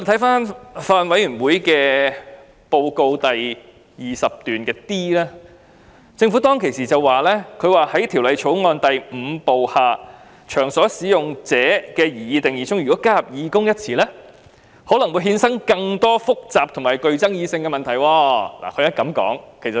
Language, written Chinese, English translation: Cantonese, 法案委員會報告的第 20d 段指出，政府說"在《條例草案》第5部下'場所使用者'的擬議定義中加入'義工'一詞，可能衍生更多複雜和具爭議的問題"。, As pointed out in paragraph 20d of the report of the Bills Committee the Government said that inserting volunteers under the proposed definition of workplace participant in Part 5 of the Bill could give rise to more complicated and controversial issues